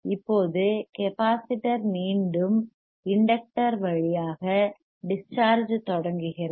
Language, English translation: Tamil, Now capacitor again starts discharging through the inductor see